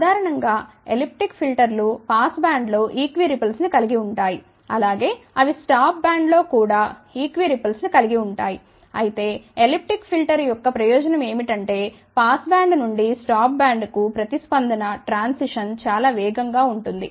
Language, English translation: Telugu, Elliptic filters in general have equi ripple in the pass band as well as they have equi ripple in the stop band also , but the advantage of elliptic filter is that the response transition from pass band to top band is very very fast